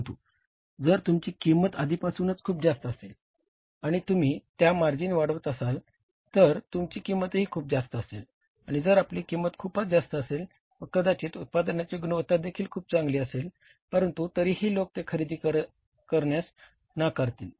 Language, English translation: Marathi, But if your cost is very high already and plus you add up the margins in that your price will also be very high and if your price is very high maybe the quality of the product is also good but largely it will be rejected by the people